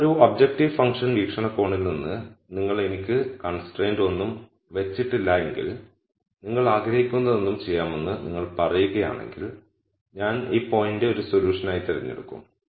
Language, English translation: Malayalam, Now from an objective function viewpoint if you did not constrain me at all and you said you could do anything you want, then I would pick this point as a solution